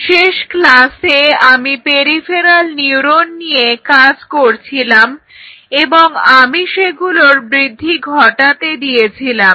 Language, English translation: Bengali, So, in the last class remember I introduced the peripheral neurons and I allowed them to grow